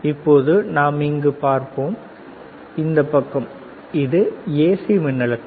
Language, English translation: Tamil, Now we go towards, this side, this is AC voltage